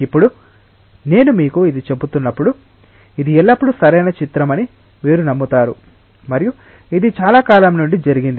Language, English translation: Telugu, Now as I am telling this to you, you are tending to believe that this is always the correct picture and this has happened really for a long time